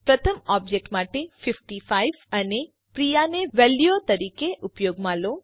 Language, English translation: Gujarati, Use 55 and Priya as values for first object